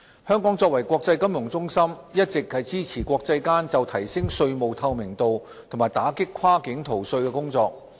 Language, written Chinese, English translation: Cantonese, 香港作為國際金融中心，一直支持國際間就提升稅務透明度和打擊跨境逃稅的工作。, Hong Kong as an international financial centre has always supported international efforts to enhance tax transparency and combat cross - border tax evasion